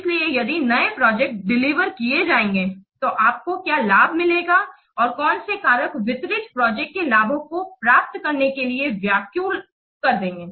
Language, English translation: Hindi, So, if the new project will be delivered, so what benefits will get and which factors will threaten to get these benefits of the delivered project